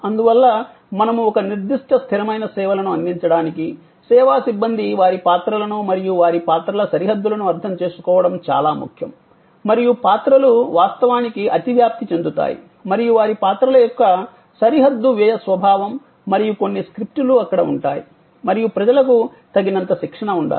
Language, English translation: Telugu, And therefore, we actually say that two deliver a certain consistent level of service it is important that the service personal understand their roles and the boundaries of their roles and where the roles will actually overlap and the boundary spending nature of their roles and there will be some scripts and there should be enough training provided to people